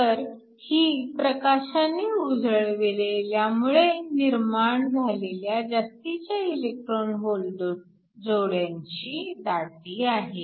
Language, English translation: Marathi, So, this is the excess electron hole pair concentration that is created when light is shining